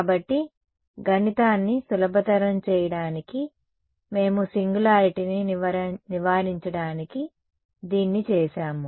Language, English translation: Telugu, So, this, but to make math simpler we had done this to avoid singularity